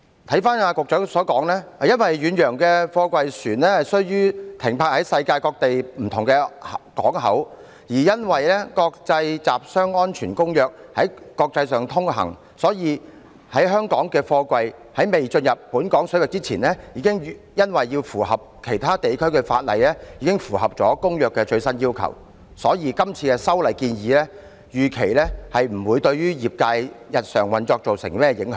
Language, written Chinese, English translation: Cantonese, 根據局長所言，因為遠洋貨櫃船須停泊世界各地不同港口，而因為《國際集裝箱安全公約》在國際上通行，故此在香港的貨櫃在未進入本港水域前已因為要符合其他地區的法例已符合了《公約》的最新要求，所以當局預期今次的修例建議不會對業界的日常運作造成甚麼影響。, According to the Secretary ocean - going container ships would stop at different ports in the world and since the International Convention for Safe Containers is implemented globally therefore before freight containers were carried into Hong Kong waters they would have been in compliance the latest requirements under the Convention as a result of the need to comply with the laws of other jurisdictions . For that reason the Administration anticipated that the proposed amendments would not have much impact on the daily operations of the trade